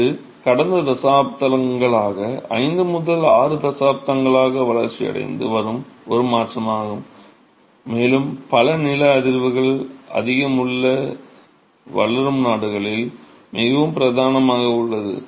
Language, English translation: Tamil, This is an alternative which has been developing over the last few decades, 5 to 6 decades and quite predominant in many highly seismic developing countries